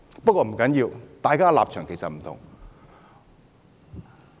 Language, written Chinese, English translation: Cantonese, 不過，不要緊，大家的立場不同。, Anyway it does not matter as our stances are different